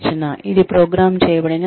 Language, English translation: Telugu, Which is programmed instruction